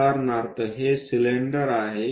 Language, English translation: Marathi, For example, this is the cylinder